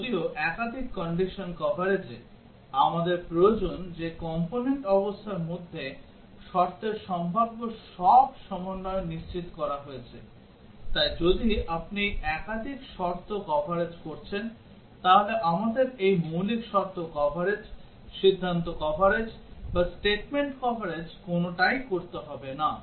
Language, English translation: Bengali, Whereas, in multiple condition coverage, we require that all possible combinations of conditions between the component conditions have been ensured; so if you are doing multiple condition coverage, then we do not have to do any of these the basic condition coverage, decision coverage or statement coverage